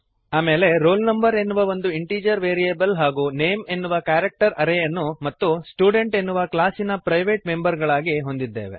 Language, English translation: Kannada, Then we have an integer variable roll no and character array name, as private members of class student